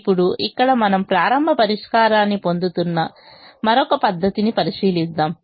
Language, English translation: Telugu, now we will look at another method where using which we will get a starting solution